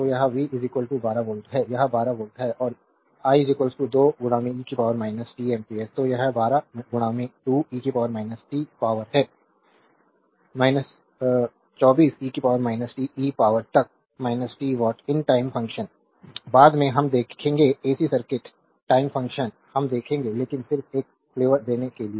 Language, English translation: Hindi, So, it is v is equal to 12 volt it is 12 volt right and i is equal to 2 into e to the power minus t ampere therefore, it is 12 into 2 e to the power minus t 24 e to the power minus t watt these a time function, later we will see in ac circuit time function we will see, but just to give you a flavor